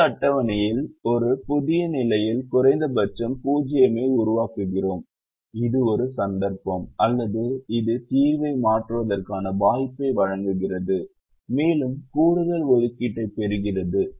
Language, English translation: Tamil, we create atleast a zero in a new position in the next table, which is a case where or which, which provides us with an opportunity to change the solution and perhaps get an extra allocation